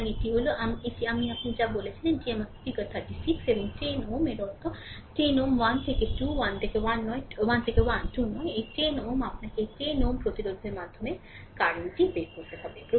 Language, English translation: Bengali, So, this is my your what you call this is my figure 36 and 10 ohm means in this 10 ohm right 1 to 2 not this one 1 to 2 right; this 10 ohm, you have to find out the current through this 10 ohm resistance